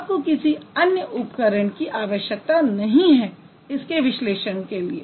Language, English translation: Hindi, You don't have to have any other tool to analyze such a system